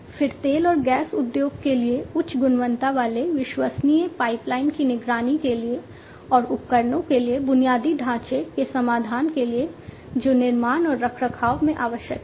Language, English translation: Hindi, Then for pipeline monitoring high, high quality reliable pipeline for oil and gas industry and for infrastructure solutions for equipment, which are required in construction and maintenance